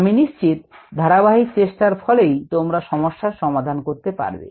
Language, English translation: Bengali, i am sure, with the consistent, good effort, you would be able to solve problems